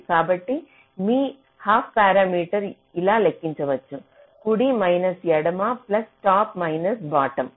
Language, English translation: Telugu, so your half parameter can be calculated like this: right minus left plus top minus bottom, so timing constraints